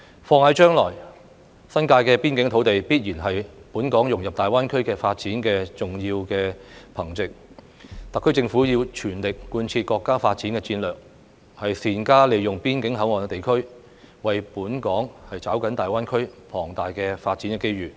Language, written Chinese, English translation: Cantonese, 放眼將來，新界邊境土地必然是本港融入大灣區發展的重要憑藉，特區政府要全力貫徹國家發展戰略，善加利用邊境口岸地區，為本港抓緊大灣區龐大的發展機遇。, Looking ahead the border areas in the New Territories will certainly be an important basis for Hong Kongs integration into the development of GBA . The SAR Government should work at full steam to align itself with the national development strategy and make good use of the border areas to seize for Hong Kong the enormous development opportunities in GBA